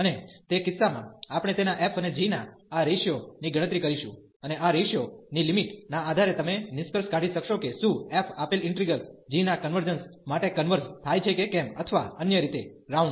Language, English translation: Gujarati, And in that case, we compute this ratio of his f and g and based on the limit of this ratio you will conclude, whether the f converges for given the convergence of the integral of g or other way round